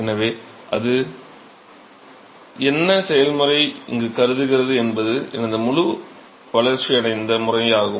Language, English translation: Tamil, So, what are the process it are supposing here is my fully developed regime